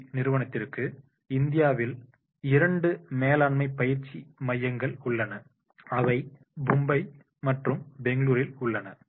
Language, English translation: Tamil, The FMC giant has two management training centers in India and Mumbai and Bangalore, right